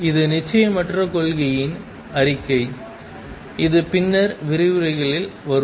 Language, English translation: Tamil, This is a statement of uncertainty principle which will come back to in later lectures